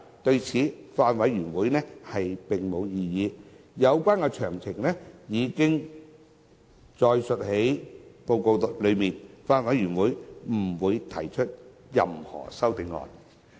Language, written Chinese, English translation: Cantonese, 對此，法案委員會並無異議，有關詳情已載列於報告內，法案委員會不會提出任何修正案。, The Bills Committee has raised no objection thereto . The relevant details have been set out in the report and the Bills Committee will not propose any CSAs